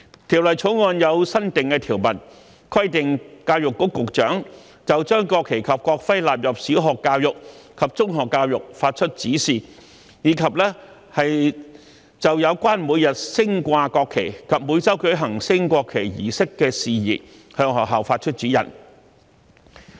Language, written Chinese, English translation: Cantonese, 《條例草案》有新訂條文，規定教育局局長就將國旗及國徽納入小學教育及中學教育發出指示，以及就有關每日升掛國旗及每周舉行升國旗儀式的事宜向學校發出指示。, The Bill consists of a new provision which requires the Secretary for Education to give directions for the inclusion of the national flag and national emblem in primary education and in secondary education; and for matters relating to the daily display of the national flag and the weekly conduct of a national flag raising ceremony to schools